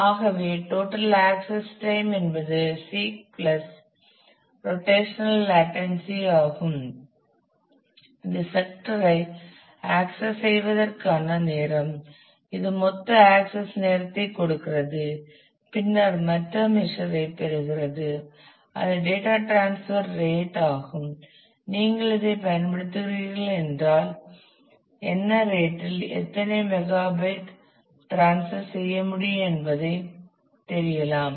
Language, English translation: Tamil, So, the time to seek plus the rotational latency the time it takes the for the sake sector to be access is gives the total access time and then comes the other measure which is the data transfer rate as to you using this then what is the rate how many megabytes and so, on can be transferred at from this